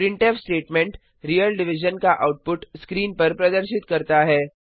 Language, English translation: Hindi, The printf statement displays the output of real division on the screen